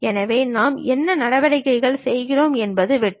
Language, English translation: Tamil, So, whatever the operations we are making this is the cut